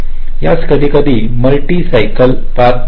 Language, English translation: Marathi, ok, these are sometimes called multi cycle paths